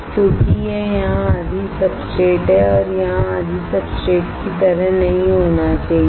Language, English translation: Hindi, Because it should not be like half of the substrate here and half the substrate here